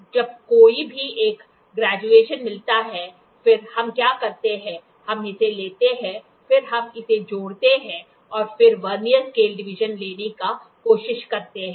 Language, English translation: Hindi, Moment one of these graduations meet, so, then what we do is, we take this then we add this and then we try to take the Vernier scale division